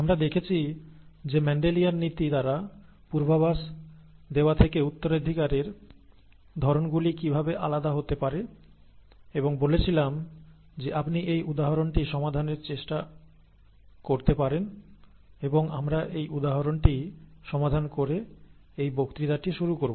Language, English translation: Bengali, We saw how the inheritance patterns could be different from those predicted by Mendelian principles and said that you could work out this example and we would start this lecture by solving this example